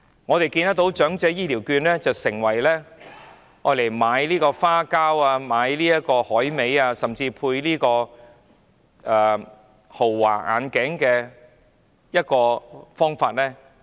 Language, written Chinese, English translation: Cantonese, 我們看到長者醫療券被用作買花膠、海味，甚至配豪華眼鏡，令公帑流失。, We have seen that the elderly health care vouchers have been used to buy dried fish maw dried seafood and even expensive spectacles resulting in a loss of public coffers